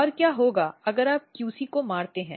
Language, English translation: Hindi, And what happens if you do if you kill the QC